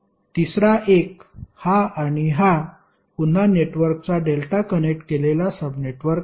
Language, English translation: Marathi, Third onE1 is, this this and this is again a delta connected subsection of the network